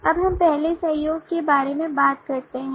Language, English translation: Hindi, now let us first talk about the collaboration